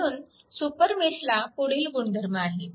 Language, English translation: Marathi, So, a super mesh is created